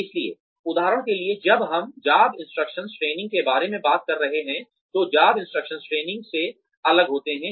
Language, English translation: Hindi, So for example when we are talking about, job instruction training, on the job training is different from, job instruction training